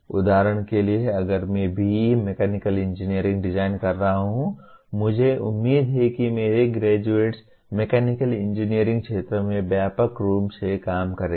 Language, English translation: Hindi, in Mechanical Engineering, I am expecting my graduates will be working in broadly in the mechanical engineering field